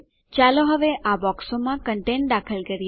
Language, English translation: Gujarati, Lets enter content in these boxes now